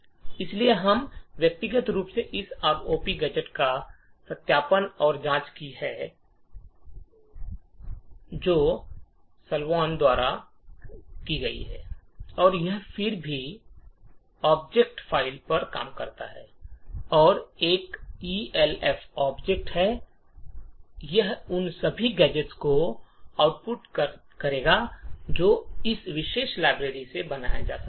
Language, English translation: Hindi, So, we have personally verified and checked this ROP gadget, by Jonathan Salwan and it works on any object file provided is an ELF object, it would output all the gadgets that can be created from that particular library